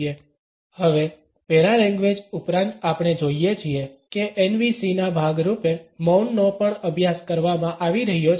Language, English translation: Gujarati, Now, in addition to paralanguage we find that silence is also being studied as a part of NVC